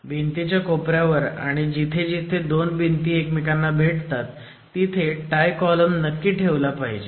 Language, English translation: Marathi, Tie columns must also be provided in addition at corners of walls and wherever you have intersections of walls